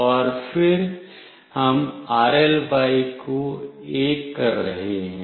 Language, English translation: Hindi, And then we are making “rly” as 1